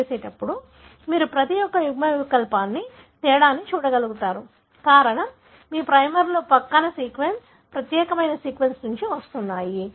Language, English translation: Telugu, So, when you do a PCR, you will be able to see a difference for each allele, the reason being your primers are coming from the flanking sequence, unique sequence